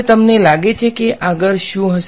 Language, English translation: Gujarati, Now, what you think would be next